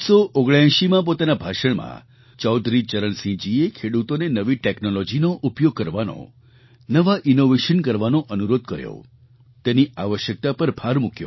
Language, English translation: Gujarati, Chaudhari Charan Singh in his speech in 1979 had urged our farmers to use new technology and to adopt new innovations and underlined their vital significance